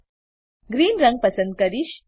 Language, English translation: Gujarati, I will select green colour